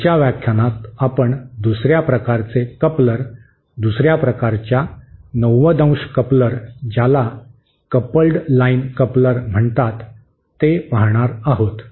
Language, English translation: Marathi, In the next lecture we will cover another type of coupler, another type of 90¡ coupler called coupled line couplers